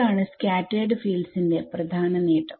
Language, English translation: Malayalam, So, this is the main advantage of scattered field